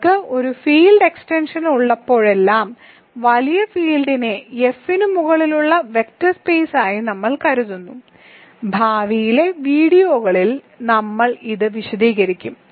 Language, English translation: Malayalam, Every time you have a field extension we think of the bigger field as a vector space over F and we will elaborate on this in the future videos